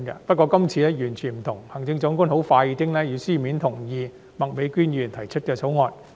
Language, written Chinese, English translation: Cantonese, 不過，這次完全不一樣，行政長官很快便以書面同意麥美娟議員提出議員法案。, However it is completely different this time as the Chief Executive has quickly given a written consent to the Members Bill introduced by Ms Alice MAK